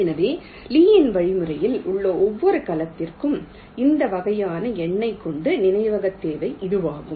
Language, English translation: Tamil, so this is the memory requirement for every cell in the lees algorithm with this kind of numbering